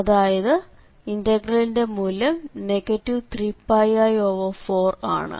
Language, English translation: Malayalam, So, the integral value is minus 3 Pi i by 4